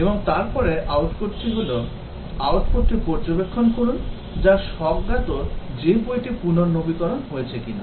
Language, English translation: Bengali, And then the output is, observe the output which is intuitive that whether if the book is renewed or not